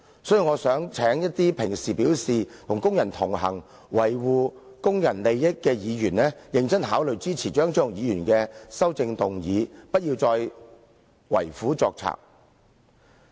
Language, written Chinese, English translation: Cantonese, 所以，我想請一些經常表示與工人同行，維護工人利益的議員，認真考慮支持張超雄議員的修正案，不要再為虎作倀。, Thus I would like to urge Members who often say that they side with workers and protect their interests to seriously consider supporting Dr CHEUNGs amendments instead of holding a candle to the devil again